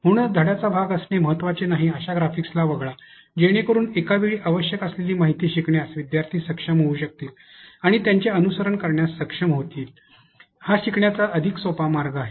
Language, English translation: Marathi, So, omit or graphics that is not important to be put to be part of a lesson, so that learners can be able to grasp the information that is required at onetime, allowing them to be able to follow there is one in a much easier way of learning